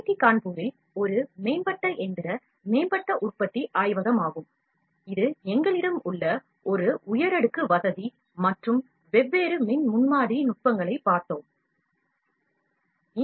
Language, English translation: Tamil, This is an advanced machining advanced manufacturing lab at IIT Kanpur, which is an elite facility that we have here and like we have seen different electric prototyping techniques